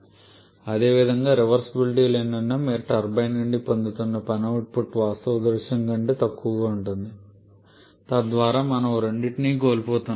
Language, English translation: Telugu, Similarly because of the presence of irreversibility is the work output that you are getting from the turbine is less than the actual scenario thereby we are losing in both account